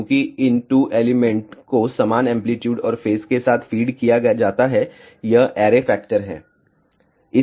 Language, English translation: Hindi, Since, these 2 elements are fed with equal amplitude and phase this is the array factor